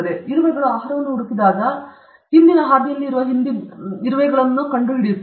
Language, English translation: Kannada, So, when the ants go in search of food, they find out the previous ants in which path they have gone